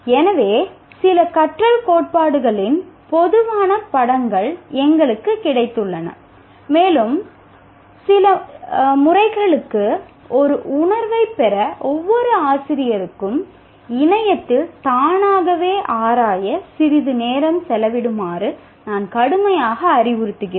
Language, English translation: Tamil, So we got a general picture of some learning theories and we, at least I strongly advise each teacher to spend some time to explore by himself or herself on the internet to have a feeling for some of these methods